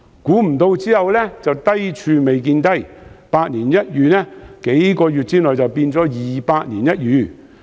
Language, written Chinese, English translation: Cantonese, 不料低處未見低，百年一遇的情況，數月後變成二百年一遇。, A few months later the once - in - a - century situation turned into a once - in - two - centuries crisis